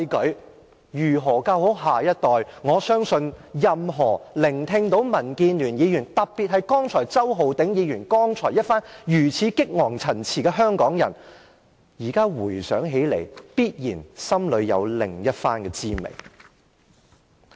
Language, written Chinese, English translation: Cantonese, 對於如何教好下一代，我相信任何香港人，只要聽到民建聯議員的發言，特別是周浩鼎議員剛才那番激昂陳辭，現在回想起來，心裏必然有另一番滋味。, As to how to teach the next generation properly I trust any Hongkongers who have heard the remarks of Members from the DAB particularly the passionate speech of Mr Holden CHOW must have a strange feeling at heart when they recap the remarks now